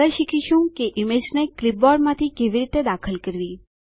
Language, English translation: Gujarati, Next we will learn how to insert image from a clipboard